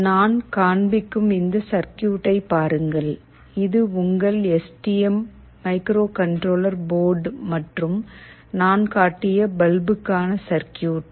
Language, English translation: Tamil, As you can see this is your STM microcontroller board and the circuit for the bulb that I have shown